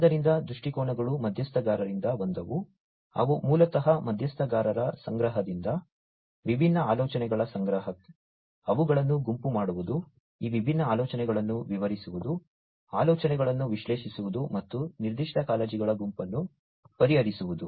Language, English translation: Kannada, So, viewpoints are from the stakeholders, which are basically the collection of different ideas from the stakeholder’s collection, grouping of them, describing these different ideas, analyzing the ideas, and solving the set of specific concerns